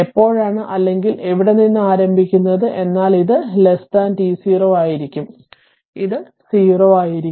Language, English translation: Malayalam, And when you are that is or starting from here, but this is your this will be less than t 0, it is 0